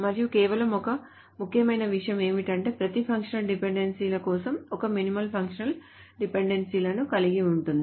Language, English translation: Telugu, And just one important thing is that every set of functional dependencies has at least one minimal set of functional dependencies